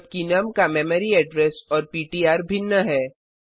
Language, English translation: Hindi, Where as memory address of num and ptr are different